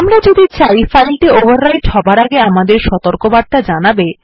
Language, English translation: Bengali, If we want our warning before the file is overwritten